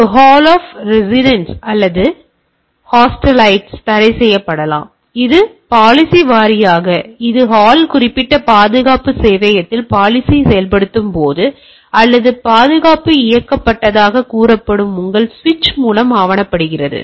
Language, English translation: Tamil, So from the hall of residences or students hostilities may be restricted say this is the; now policy wise this is documented by when implementing implemented the policy in the hall particular security server or your switch which is say security enabled